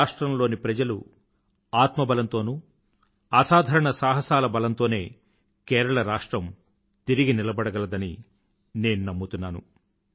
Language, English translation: Telugu, I firmly believe that the sheer grit and courage of the people of the state will see Kerala rise again